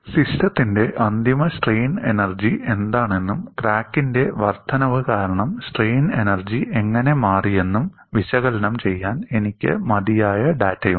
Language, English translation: Malayalam, Now, I have sufficient data to analyze what is the final strain energy of the system and how the strain energy has changed because of an incremental extension of the crack